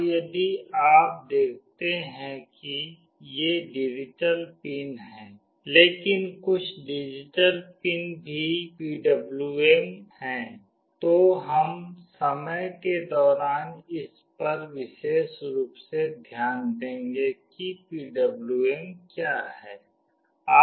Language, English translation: Hindi, And if you see these are digital pins, but some of the digital pins are also PWM, we will look into this specifically what is PWM in course of time